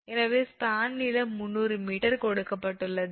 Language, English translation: Tamil, So, span length is given 300 meter